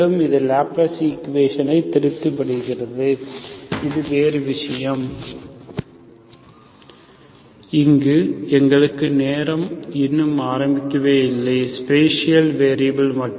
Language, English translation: Tamil, So we see that, this satisfies the Laplace equation, so it is a different thing, so we do not have time here, only spatial variables